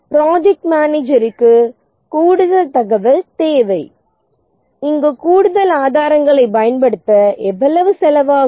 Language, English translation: Tamil, And then the project manager needs additional information that deploying additional resources here costs how much